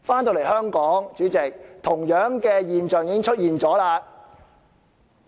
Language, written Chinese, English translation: Cantonese, 在香港，同樣的現象已經出現。, In Hong Kong we can see the same phenomenon emerging